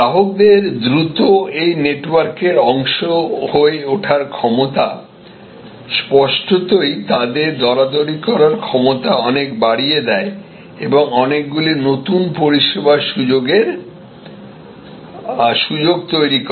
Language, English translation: Bengali, This ability of consumers to quickly become part of a network; obviously, highly enhances their negotiating power and creates many new service delivery opportunities